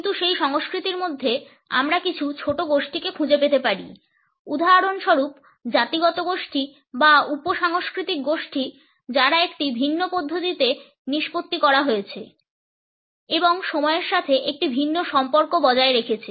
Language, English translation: Bengali, But within that culture we may find some smaller groups for example, ethnic groups or sub cultural groups who are disposed in a different manner and have retained a different association with time